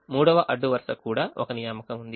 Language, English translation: Telugu, the third row also has an assignment